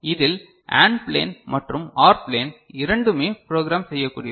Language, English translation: Tamil, So, in this, both AND plane and OR plane are programmable ok